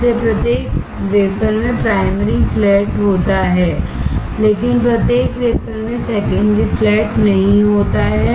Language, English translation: Hindi, So, every wafer has primary flat, but not every wafer has secondary flat